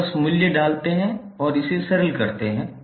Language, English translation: Hindi, You just put the value and simplify it